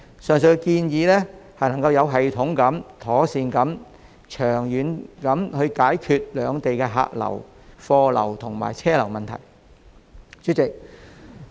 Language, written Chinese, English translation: Cantonese, 上述建議能有系統地、妥善地及長遠地解決兩地的客流、貨流及車流問題。, The proposed initiative is a systematic and proper way to tackle problems associated with cross - boundary passenger cargo and vehicle flows in the long run